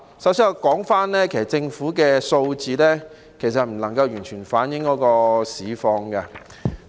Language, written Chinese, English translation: Cantonese, 首先我想指出，政府的數字不能夠完全反映市況。, First of all I would like to point out that the Governments figures cannot give a full picture of the market situations